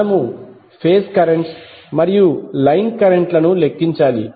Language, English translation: Telugu, We need to calculate the phase currents and line currents